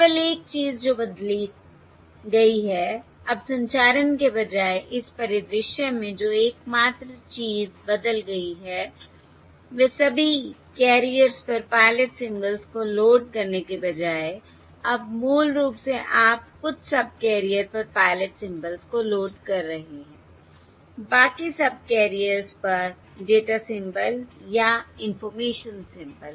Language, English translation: Hindi, The only thing that is changed is now, instead of transmitting, the only thing that has changed in this scenario is, instead of loading the pilot symbols onto all of the carriers, now, basically, you are loading pilot symbols onto the few, onto a few subcarriers, data symbols or information symbols on to the rest of the rest of the subcarriers